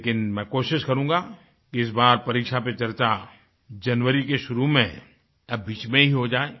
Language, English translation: Hindi, It will be my endeavour to hold this discussion on exams in the beginning or middle of January